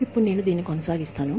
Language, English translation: Telugu, Now, I will continue with this